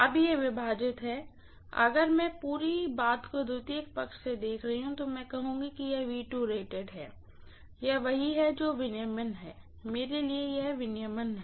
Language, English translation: Hindi, Now this divided by, if I am looking at the whole thing from the secondary side I will say this is V2 rated, this is what is regulation, for me this is what is regulation